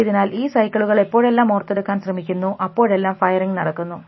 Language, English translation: Malayalam, So, every time this cycle comes in a recall they will keep firing